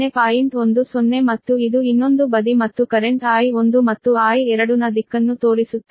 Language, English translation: Kannada, and this is other side and showing a direction of the current i one and i two